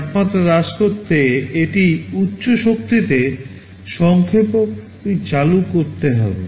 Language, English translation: Bengali, It must turn on the compressor at high power to bring down the temperature